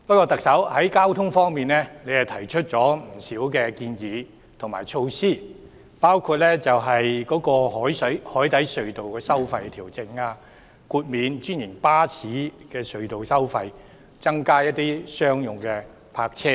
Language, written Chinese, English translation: Cantonese, 特首在交通方面亦提出了不少建議和措施，包括調整海底隧道收費、豁免專營巴士隧道收費、增加商用泊車位等。, The Chief Executive has also put forward many proposals and measures in respect of transport including adjusting the tolls of cross harbour tunnels waiving the tolls charged on franchised buses for using tunnels increasing the parking spaces for commercial vehicles etc